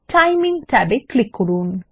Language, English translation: Bengali, Click the Timing tab